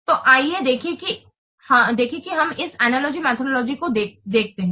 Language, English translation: Hindi, So let's see what we'll see this analogy methodology